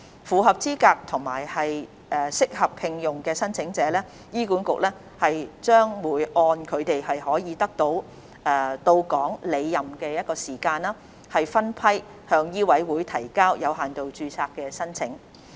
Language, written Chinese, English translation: Cantonese, 符合資格和適合聘用的申請者，醫管局將會按他們可以到港履任的時間，分批向醫委會提交有限度註冊申請。, For those who are eligible and considered suitable for appointment HA will submit their limited registration applications to MCHK in batches according to their intended dates of reporting for duty in Hong Kong